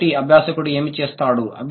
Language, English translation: Telugu, So, what does the learner do